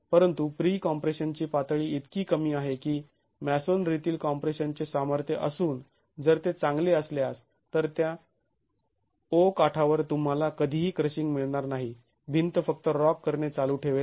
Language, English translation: Marathi, But the level of pre compression is so low that and the strength of masonry in compression is if it is good then at that edge O you will never get crushing